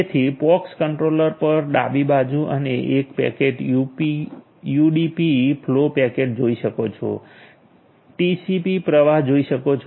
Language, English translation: Gujarati, So, you can in the left hand side at the pox controller you can see a packet in for UDP flows packet in for TCP flow